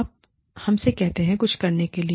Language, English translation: Hindi, You tell us, to do something